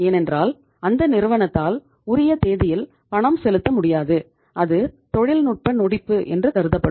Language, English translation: Tamil, Because then the firm would be would not be able to make the payment on the due date and that would be considered as technically insolvent